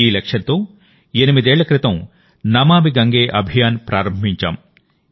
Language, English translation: Telugu, With this objective, eight years ago, we started the 'Namami Gange Campaign'